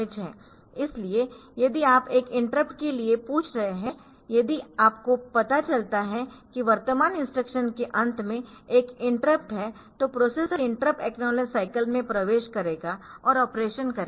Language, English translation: Hindi, So, if you are asking for an interrupt, if you if you are if you find that there is an interrupt at the end of the current is instruction then the processor will enter into the interrupt acknowledge cycle and do the operation